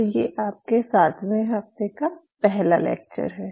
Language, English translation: Hindi, So, this is your week 7 lecture 1